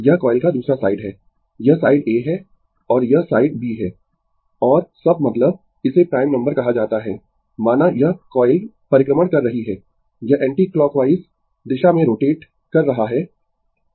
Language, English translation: Hindi, This is other side of the coil, this is side A and this is side B and by sub means, it is called prime number say this coil is revolving, it is rotating in the anticlockwise direction